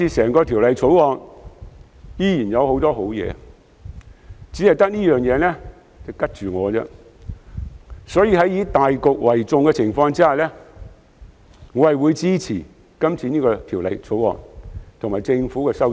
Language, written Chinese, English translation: Cantonese, 不過，《條例草案》整體仍有很多好建議，唯獨此事令我有保留，所以在以大局為重的情況下，我會支持《條例草案》及政府的修正案。, I am really very disappointed However as the Bill contains a range of constructive proposals and the aforesaid issue is the only thing that I have reservations about I will support the Bill and the Governments amendments in the interest of the greater good